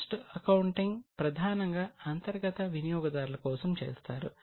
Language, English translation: Telugu, Keep in mind that cost accounting is primarily targeted to internal users